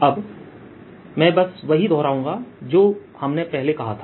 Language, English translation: Hindi, i'll just recall what we had said earlier